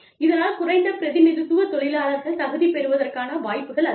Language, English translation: Tamil, So, that the under represented workers, are more likely to be qualified